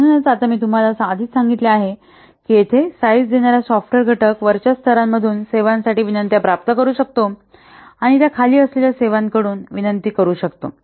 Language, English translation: Marathi, So now as I have already told you that here, the software component that has to be sized can receive requests for services from layers above and it can request services from those below it